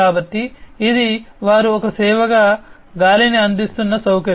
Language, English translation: Telugu, So, this is basically a facility that they are providing air as a service